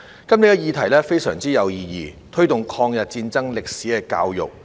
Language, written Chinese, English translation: Cantonese, 今天的議題非常有意義，是"推動抗日戰爭歷史的教育"。, The topic today is very meaningful . It is Promoting education on the history of War of Resistance against Japanese Aggression